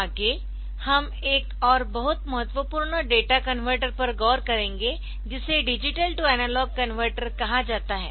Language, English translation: Hindi, So, next, so next we will look into another very important data converter which is known as digital to analog converter